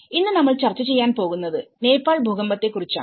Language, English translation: Malayalam, So, today we will discuss about the Nepal earthquake